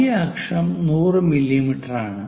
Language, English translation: Malayalam, Major axis 100 mm